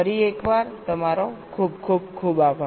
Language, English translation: Gujarati, thank you very much once again